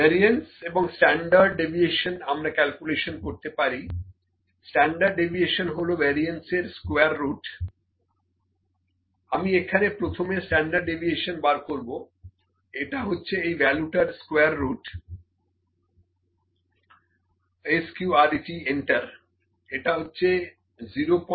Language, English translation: Bengali, So, variance also we can calculate standard deviation, standard deviation standard deviation is square root of variance this I will first calculate my standard deviation, this is equal to square root SQRT square root of this value, enter, this is 0